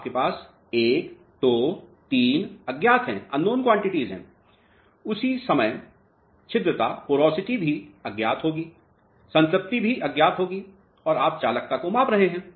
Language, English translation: Hindi, You have 1, 2, 3 unknowns; at the same time the porosity would also be unknown, saturation would also be unknown and what you are measuring is conductivity